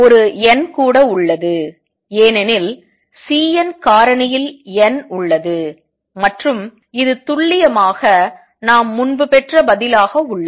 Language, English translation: Tamil, There is an n also because the C n factor has n and this is precisely the answer we had obtained earlier